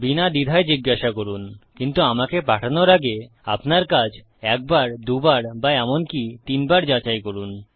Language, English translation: Bengali, Feel free to ask, but make sure you check your work once, twice or even thrice before you send me anything